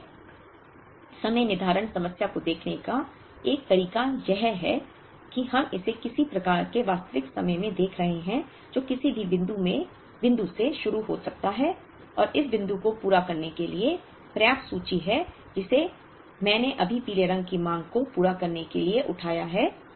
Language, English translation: Hindi, One way of looking at the economic lot scheduling problem is we are looking at it at some kind of real time, which can start from any point and there is sufficient inventory to meet this the point that I raised right now to meet the demand of yellow for this period and the demand of blue for this period